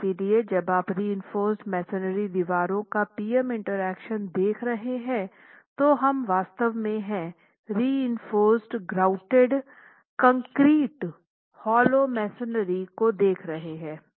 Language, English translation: Hindi, So, when you are looking at PM interactions for reinforced masonry walls, we are really looking at reinforced grouted concrete hollow block masonry